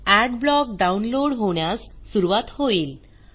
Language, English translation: Marathi, Adblock starts downloading Thats it